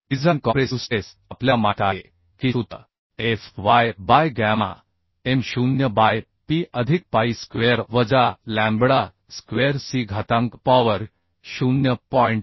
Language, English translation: Marathi, 2338 So fcd value can be found from this formula fy by gamma m0 by phi plus phi square minus lambda square whole to the power 0